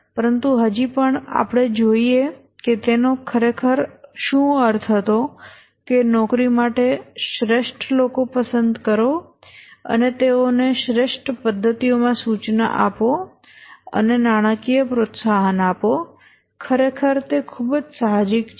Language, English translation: Gujarati, But still, let's see what he really meant that select the best people for job, instruct them in the best methods and give financial incentive, quite intuitive actually